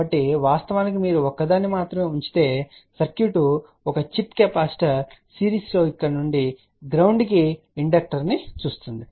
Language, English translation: Telugu, So, in a reality if you put only one what the circuit will see a chip capacitor in series with the inductor from here to the ground